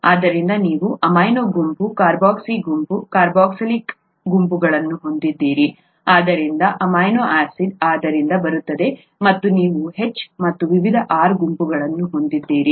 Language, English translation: Kannada, So you have amino group, carboxy group, carboxylic acid group, so amino acid comes from that and you have H and various R groups